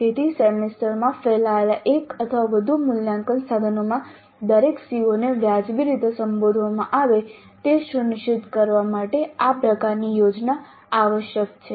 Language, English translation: Gujarati, So this kind of a plan is essential in order to ensure that every CO is addressed reasonably well in one or more assessment instruments spread over the semester